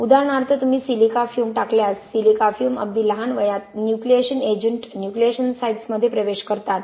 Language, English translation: Marathi, For example if you put in silica fume, silica fume at very early ages access nucleation agent, nucleation sites